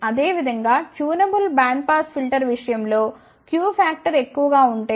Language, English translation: Telugu, Similarly, in case of tunable band pass filter if the q vector is high